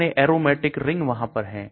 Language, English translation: Hindi, How many aromatic rings are there